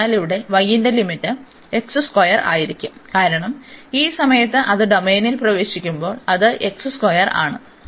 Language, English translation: Malayalam, And so here the limit for y will be x square, because at this point when it enters the domain it is x square